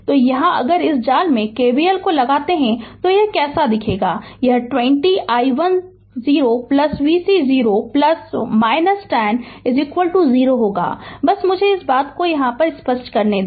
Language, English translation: Hindi, So, here here if you apply your KVL at your in this mesh right, so how it will look like, it will be 20 i 1 0 plus plus v c your 0 plus minus 10 is equal to 0, just ah just let me ah this thing